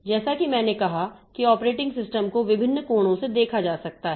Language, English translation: Hindi, As I said, the operating system can be viewed from different angle